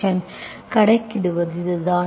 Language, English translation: Tamil, So this is how you calculate